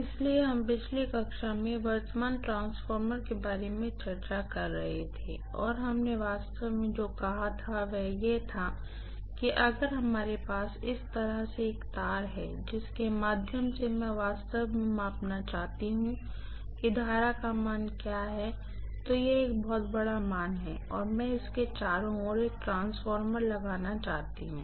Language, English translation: Hindi, So, we were discussing current transformers in the last class and what we actually said was that if we are having a wire like this through which I want to measure actually what is the value of current and because it is a very large value, I might like to put a transformer around it